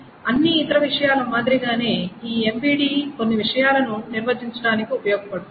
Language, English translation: Telugu, And now, similar to all the other things is this MVD can be used to define certain things